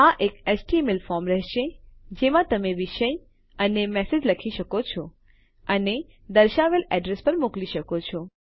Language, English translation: Gujarati, This will be in an HTML form in which you can write a subject and a message and send to a specified address